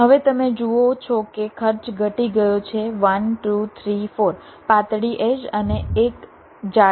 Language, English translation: Gujarati, now you see the cost has dropped down: one, two, three, four thin edges and one thick edges